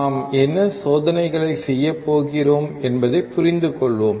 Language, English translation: Tamil, Let us understand what experiments we are going to perform